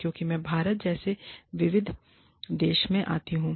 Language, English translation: Hindi, Because, i come from such a diverse country, like India